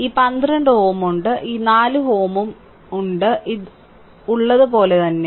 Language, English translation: Malayalam, This 12 ohm is there and this 4 ohm and this 4 ohm, this one is there as it is right